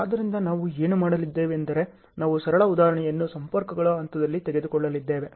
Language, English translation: Kannada, So, what we are going to do is, we are going to take a simple example and at the point of the linkages